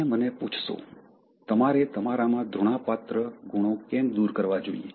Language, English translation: Gujarati, You may ask me; why should you eliminate hateful traits in you